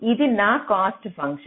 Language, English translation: Telugu, this is my cost function